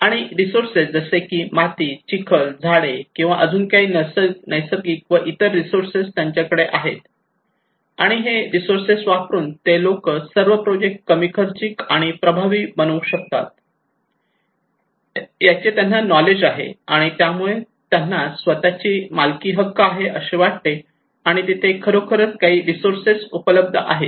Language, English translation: Marathi, And also the resources like they have sands muds these should be or trees whatever natural and other resources they have and knowledge they have that should be used it could be all makes the project more cost effective, and they can feel their ownership, and also there should be some resource available okay